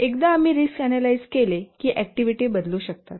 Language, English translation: Marathi, And once we do the risk analysis, the activities may change